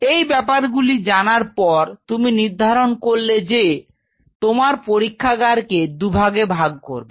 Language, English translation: Bengali, So, an knowing these facts So, you have decided that the lab is divided in 2 parts